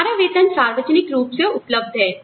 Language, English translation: Hindi, Our salaries are publicly available